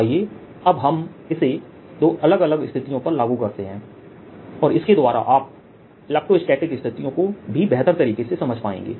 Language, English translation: Hindi, let us now apply this in two different situation and gives you very beautiful feeling for electrostatic cases also